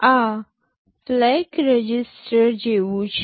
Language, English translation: Gujarati, This is like a flag register